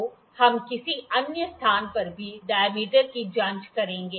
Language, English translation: Hindi, So, we will check the dia at some other location as well